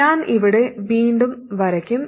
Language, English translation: Malayalam, I will redraw the circuit here